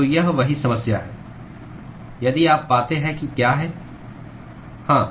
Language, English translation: Hindi, So, that is the same problem, if you find what is the